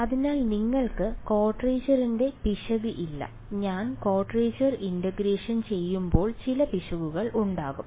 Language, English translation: Malayalam, So, that you do not have the error of quadrature when I do quadrature integration there will be some error